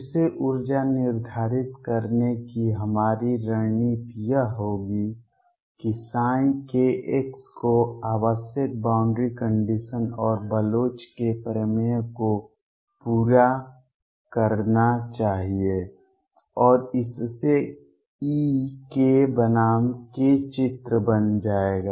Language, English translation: Hindi, Again our strategy to determine the energy is going to be that psi k x must satisfy the required boundary conditions and Bloch’s theorem; and that will lead to e k versus k picture